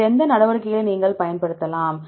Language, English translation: Tamil, What other measures you can use